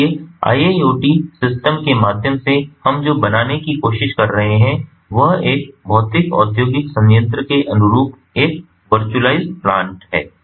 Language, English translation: Hindi, so, through iiot systems, what we are trying to build is a virtualized plant corresponding to a physical industrial plant